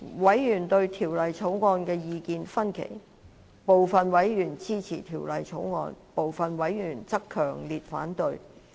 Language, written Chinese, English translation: Cantonese, 委員對《條例草案》意見分歧，部分委員支持《條例草案》，部分委員則強烈反對。, Divergent views persist amongst members on the Bill . Some members of the Bills Committee support the Bill while some members strongly oppose it